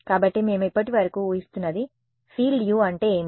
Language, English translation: Telugu, So, what we assume so far was that the field U is what